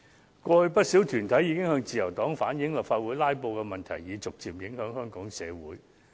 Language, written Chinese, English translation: Cantonese, 過去曾有不少團體向自由黨反映，立法會"拉布"的問題已逐漸影響香港整個社會。, Over the past quite a number of bodies relayed to the Liberal Party that the problem of filibustering in the Legislative Council has been gradually taking its toll on Hong Kongs entire community